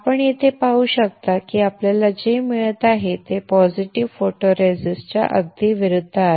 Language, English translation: Marathi, You can see here that what we are getting is absolutely opposite of the positive photoresist